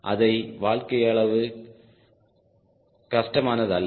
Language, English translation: Tamil, life is not that difficult